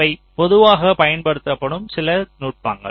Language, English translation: Tamil, these are some of the very commonly used techniques